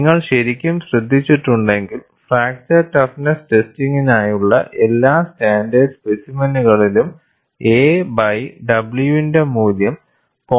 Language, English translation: Malayalam, And if you have really noted, in all the standard specimens for fracture toughness testing, the value of a by w is around 0